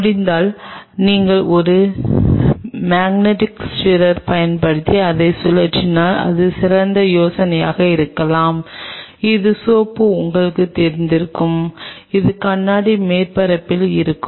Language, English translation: Tamil, And if possible if you can swirl it using a magnetic stirrer that may be a better idea that way the soap will kind of you know will be all over the surface of the glass